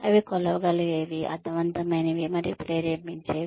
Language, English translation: Telugu, They should be measurable, meaningful, and motivational